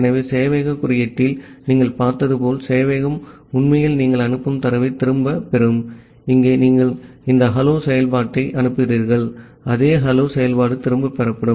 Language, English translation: Tamil, So from the server side so as you have seen in the server code, the server will actually go back the data that you are sending so, here you are sending this hello there function, same hello there function will be got back